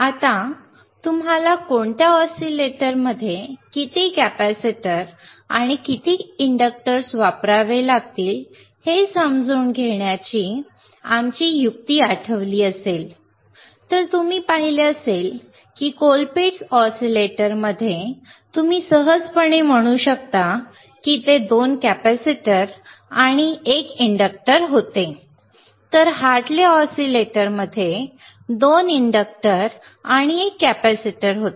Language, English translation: Marathi, Now, if you remember our trick to understand how many capacitors and how many inductors you have to use, in which oscillator, you have been sseen that in a Ccolpitts oscillator you can easily say that it iswas 2 capacitors and, 1 inductor right, while in Hartley oscillator there were 2 inductors and 1 capacitor